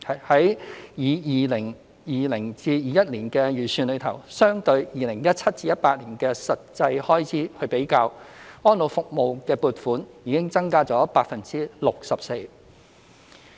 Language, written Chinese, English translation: Cantonese, 在 2020-2021 年度的預算中，相對於 2017-2018 年度的實際開支，安老服務的撥款已增加 64%。, In the Estimates for 2020 - 2021 the funding for elderly services has been increased by 64 % as compared with the actual expenditure in 2017 - 2018